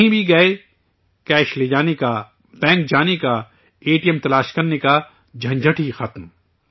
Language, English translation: Urdu, Wherever you go… carrying cash, going to the bank, finding an ATM… the hassle is now over